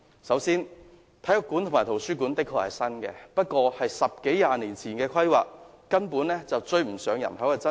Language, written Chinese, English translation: Cantonese, 首先，體育館及圖書館的確是新建的，但卻是十多二十年前的規劃，根本追不上人口增長。, However first of all while the sports centre and library are newly constructed the planning was made more than 10 or 20 years ago and such facilities have completely failed to keep up with population growth